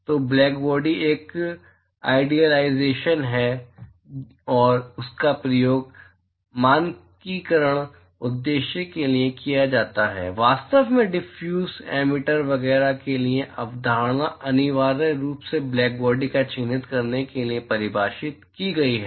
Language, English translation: Hindi, So, blackbody is an idealization, and it is used for standardization purposes, in fact all the concept of diffuse, emitter etcetera is essentially defined for characterizing blackbody